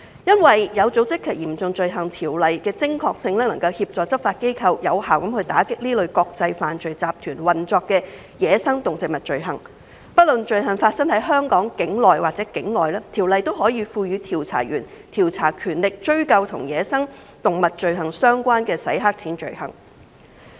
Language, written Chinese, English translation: Cantonese, 《有組織及嚴重罪行條例》的精確性，能夠協助執法機構有效地打擊這類國際犯罪集團運作的走私野生動植物罪行，不論罪行發生在香港境內或境外，該條例均可以賦予調查員調查權力，追究與走私野生動植物罪行相關的洗黑錢罪行。, The precision of OSCO can assist law enforcement agencies in effectively combating such crimes involving wildlife trafficking that are operated by international criminal syndicates . OSCO provides investigators with investigative powers to pursue money laundering offences related to such crimes regardless of whether such crimes are committed within or outside Hong Kong